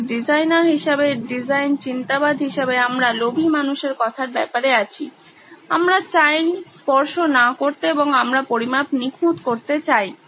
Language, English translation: Bengali, So as designers, as design thinkers, we are in a manner of speaking greedy people, we want no touching and we want measurements to be perfect